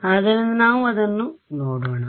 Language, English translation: Kannada, So, let us have a look at that right